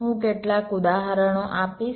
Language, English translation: Gujarati, i shall give some examples